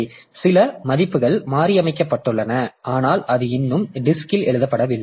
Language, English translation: Tamil, So, some values have been modified but it is not yet written onto the disk